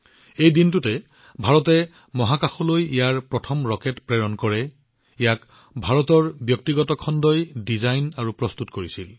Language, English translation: Assamese, On this day, India sent its first such rocket into space, which was designed and prepared by the private sector of India